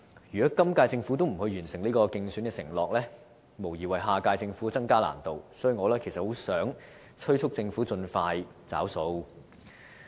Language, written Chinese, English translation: Cantonese, 如果今屆政府未能完成這個競選承諾，無疑會為下屆政府增加難度，所以，我很希望催促政府盡快"找數"。, If the incumbent Government fails to honour this election pledge it will undoubtedly make it more difficult for the next - term Government to work on it . For this reason I sincerely urge the Government to honour the pledge as soon as possible